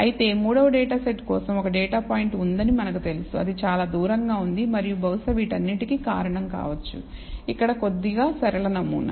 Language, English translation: Telugu, For the third data set however, we know there is one data point that is lying far away, and perhaps that is the one that is causing all of this slightly a linear pattern here